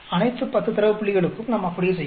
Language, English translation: Tamil, All the 10 data points, we do like that